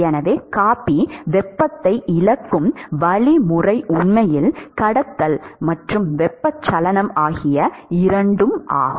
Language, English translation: Tamil, So, the mechanism by which the coffee loses heat is actually both conduction and convection